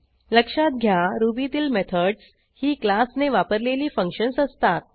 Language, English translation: Marathi, Recall that in Ruby, methods are the functions that a class performs